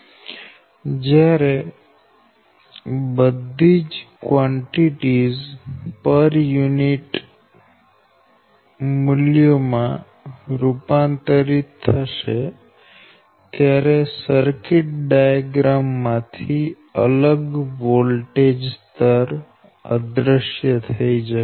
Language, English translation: Gujarati, and when all the all the quantities are converted in per unit values, that different voltage level will disappear in your circuit diagram